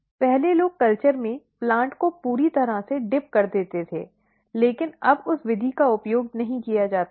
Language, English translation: Hindi, Previously people use to completely dip the plant in the culture and, but now that method is not used anymore